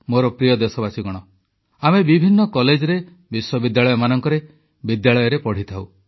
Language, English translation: Odia, My dear countrymen, all of us study in myriad colleges, universities & schools